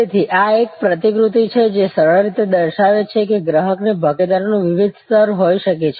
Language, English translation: Gujarati, So, this is a diagram which simply shows that there can be different level of customer participation